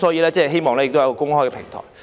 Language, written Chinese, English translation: Cantonese, 我希望能有一個公開的平台。, I hope there will be an open platform